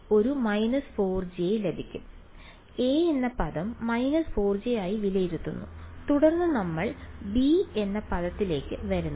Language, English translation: Malayalam, So, term a evaluates to minus 4 j then we come to term b ok